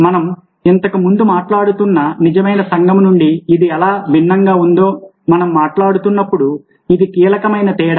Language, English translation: Telugu, this is the key difference when we are talking about how it is different from the real community that we were talking about earlier